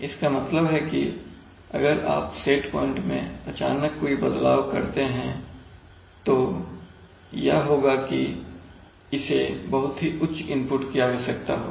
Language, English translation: Hindi, it means that if you give a set point change in, if you give a set point change suddenly then what will happen is that it will require a tremendously high input